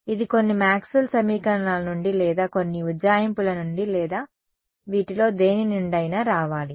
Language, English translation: Telugu, It has to come from some Maxwell’s equations or some approximation or something of this are